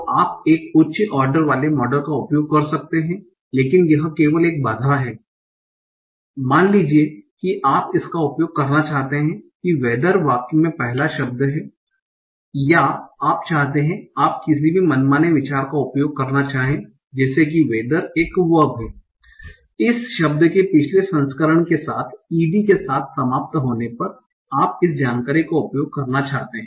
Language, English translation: Hindi, So you can use a high water model but this is just one some some limitations suppose you want to use what whether this is the first word in the sentence okay or you want to use any arbitrary arbitrary thing like whether there is a verb ending with ED previous to this word